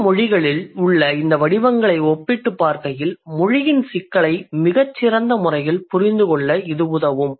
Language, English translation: Tamil, So, to compare these patterns that the world's languages have, this would help us to understand the complexity of language in a much better way